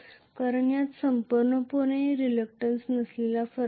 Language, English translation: Marathi, Because there is no reluctance variation absolutely